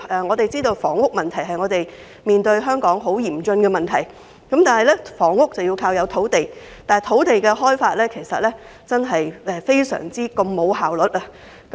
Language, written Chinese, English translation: Cantonese, 以處理房屋問題為例，這是香港面對的嚴峻問題，而建屋需要土地，但香港的土地開發真的非常沒有效率。, An example is the handling of housing issue which is a serious problem in Hong Kong . While land is a necessity for housing construction land development in Hong Kong is extremely inefficient